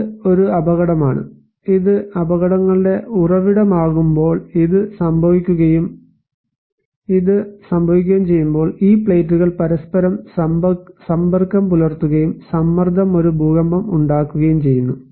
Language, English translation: Malayalam, this is one hazard and when this is the source of the hazards and when this happen and this happens, we can see that these plates come in contact with each other and the pressure builds up an earthquake occurs